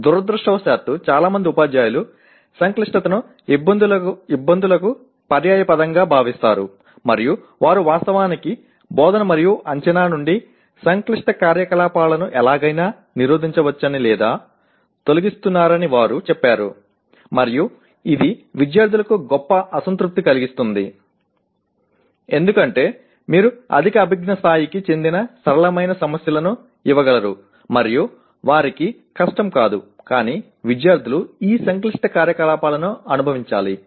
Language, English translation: Telugu, Because unfortunately many teachers consider complexity is synonymous with difficulty and they say they somehow prevent or eliminate complex activities from actually instruction and assessment and that would be doing a great disservice to the students because you can give simpler problems belonging to higher cognitive levels and they will not become difficult but students should experience these complex activities